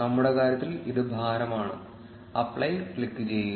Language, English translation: Malayalam, In our case, it is weight, click on apply